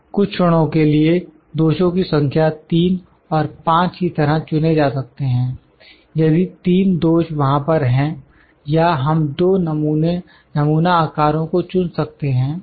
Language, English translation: Hindi, For instance number of defects can be selected as 3 and 5, if 3 defects are there or we can select two sample sizes